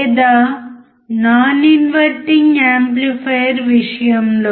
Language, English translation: Telugu, Or in case of non inverting amplifier